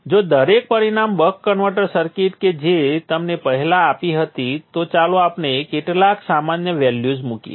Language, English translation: Gujarati, If we revisit the buck converter circuit that we drew earlier let us put some values here generic values